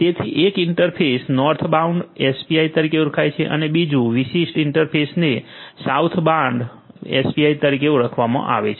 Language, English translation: Gujarati, So, this interface is known as the Northbound API and this particular interface is known as the Southbound API